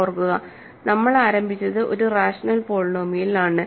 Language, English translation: Malayalam, Remember, we started with a rational polynomial